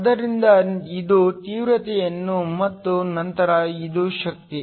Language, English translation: Kannada, So, this is the intensity and then this is the energy